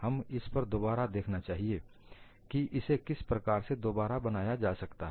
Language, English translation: Hindi, You would also look at again how this could be recast